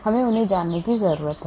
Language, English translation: Hindi, We need to know them